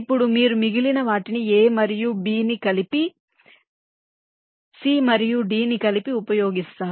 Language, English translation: Telugu, ok, now you use the rest, a and b together, c and d together